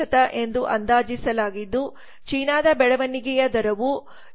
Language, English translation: Kannada, 1% while the growth rate for China was 7